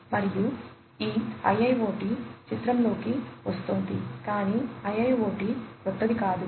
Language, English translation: Telugu, And, that is where this IIoT is coming into picture, but a IIoT is not something new, right